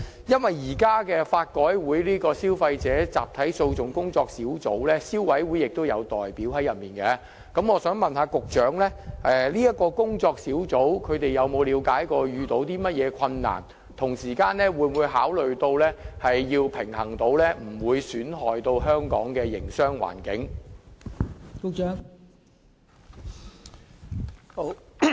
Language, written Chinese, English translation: Cantonese, 由於法改會的集體訴訟小組委員會現時亦有消委會的代表，我想問局長，這個小組委員會有否了解所遇到的困難為何，同時會否考慮作出平衡，以免損害香港的營商環境？, Given that the Consumer Council is also represented in LRCs Class Actions Sub - committee may I ask the Secretary whether this Sub - committee understands the difficulties involved and whether it will consider striking a balance in order not to jeopardize the business environment in Hong Kong?